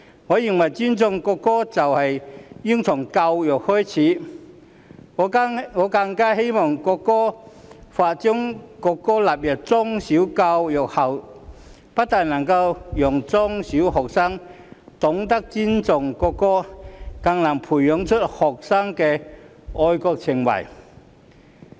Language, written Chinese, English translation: Cantonese, 我認為尊重國歌應從教育開始，我更希望《條例草案》將國歌納入中小學教育後，不但能令中小學學生懂得尊重國歌，更能培養學生的愛國情懷。, I consider that cultivation of respect for the national anthem should begin with education . I further hope that after the national anthem is included in primary and secondary education not only will primary and secondary students learn to respect the national anthem but their patriotic sentiments will also be nurtured